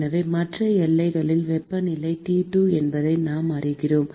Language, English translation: Tamil, So, we know that the temperature on the other boundary is T2